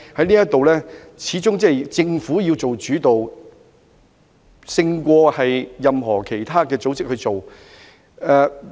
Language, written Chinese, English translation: Cantonese, 這方面，政府始終要做主導，勝過由其他民間組織處理。, In this regard the Government should always take the lead it would do better than other community organizations